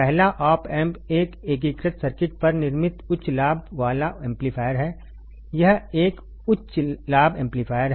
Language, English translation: Hindi, First is op amp is a very high gain amplifier fabricated on a integrated circuit; this is a high gain amplifier ok